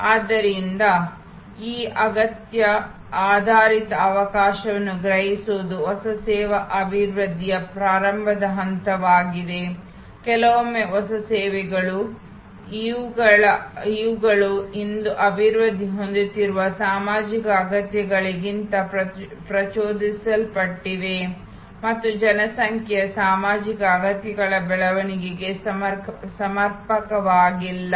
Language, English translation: Kannada, So, sensing this need based opportunity is a starting point of new service development sometimes new services are these develop today stimulated by social needs for survival and growth of population social needs that are not adequate covered